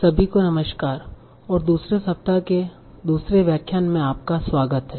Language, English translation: Hindi, So, hello everyone and welcome to the second lecture of second week